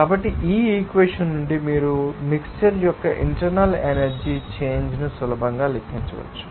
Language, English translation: Telugu, So, from this equation you can easily calculate the internal energy change of the mixture